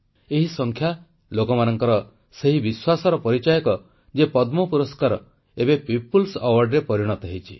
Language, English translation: Odia, This statistic reveals the faith of every one of us and tells us that the Padma Awards have now become the Peoples' awards